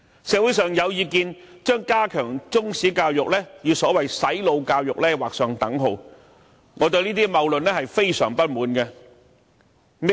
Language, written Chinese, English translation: Cantonese, 社會上有意見將加強中史教育與所謂"洗腦"教育劃上等號，我對這些謬論非常不滿。, There is a view in society that equates enhanced Chinese history education with brainwashing education . This is a fallacy which I detest